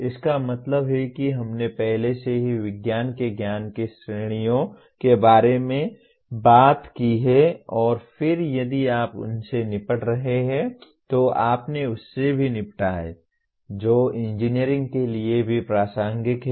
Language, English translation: Hindi, That means we have already talked about four categories of knowledge of science and then if you are dealing with that then you have also dealt with that, what is relevant to engineering as well